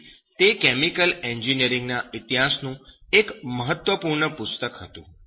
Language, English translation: Gujarati, So it was one of the important books in chemical engineering history